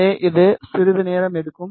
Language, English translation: Tamil, So, it will take some time